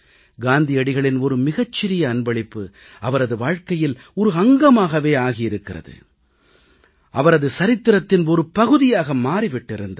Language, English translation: Tamil, A small gift by Mahatma Gandhi, has become a part of her life and a part of history